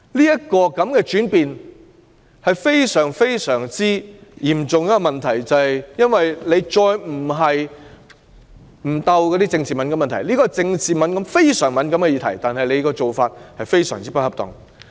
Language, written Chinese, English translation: Cantonese, 這種轉變是非常嚴重的問題，因為她再沒有避開政治敏感的問題，而對於這項非常敏感的政治議題，她的做法非常不恰當。, Such a change is a grave problem because she no longer avoids the politically sensitive issues . In respect of this highly sensitive political issue her approach has been most inappropriate